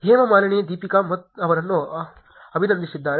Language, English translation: Kannada, Hema Malini congratulates Deepika